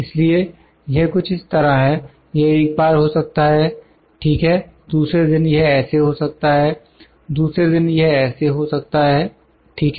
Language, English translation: Hindi, So, it is something like this so, this can be one time, ok, the other day it could be like this, on the other day it could be like this, ok